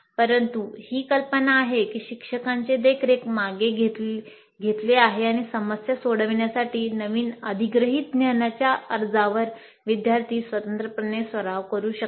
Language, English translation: Marathi, But the idea is that the teachers' supervision is with known and students independently practice the application of the newly acquired knowledge to solve problems